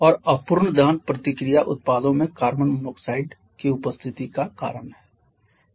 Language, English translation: Hindi, And incomplete combustion is the reason for the presence of carbon monoxide in the products or in the reaction products